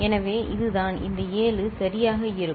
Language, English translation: Tamil, So, this is the this seven will be there right